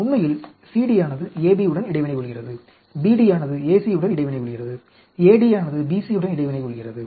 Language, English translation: Tamil, CD interacting with AB, BD interacting with AC, AD interacting with BC and so on actually